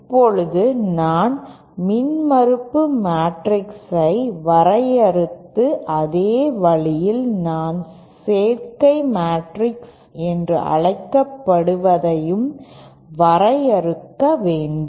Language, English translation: Tamil, Now similarly in the same way that I defined impedance matrix I should also be able to define what I call the admittance matrix